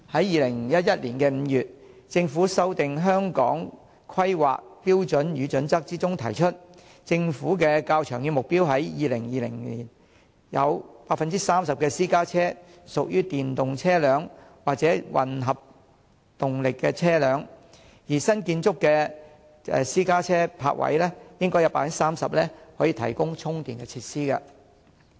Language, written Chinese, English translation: Cantonese, 2011年5月，政府修訂《香港規劃標準與準則》，指出政府的較長遠目標是在2020年有 30% 私家車屬於電動車輛或混合動力車輛，而新建築的私家車泊位應有 30% 可以提供充電設施。, In May 2011 the Government amended the Hong Kong Planning Standards and Guidelines stating its longer term target is that as far as private cars are concerned 30 % are EVs or hybrid by 2020 and EV standard charging facilities should be provided where appropriate in at least 30 % of car parking spaces for private car in new car parks